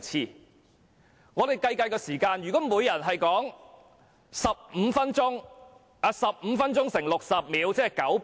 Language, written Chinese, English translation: Cantonese, 讓我們計一計發言時間，如每名議員可發言15分鐘，把15分鐘乘以60秒，即900秒。, Let us calculate the speaking time . Given that each Member may speak for 15 minutes multiplying 60 seconds by 15 will make a total of 900 seconds